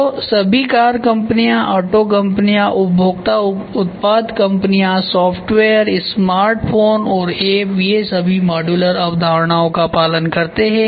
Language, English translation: Hindi, So, all those car companies, auto companies, consumer product companies software they follow modular concept smartphone they follow modular concept, apps they follow modular concepts